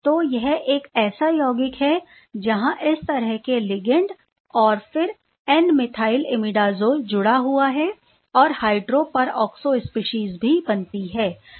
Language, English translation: Hindi, So, this is so one such compound where these sort of ligand and then, is N methyl imidazole is attach and the hydroperoxo species is also formed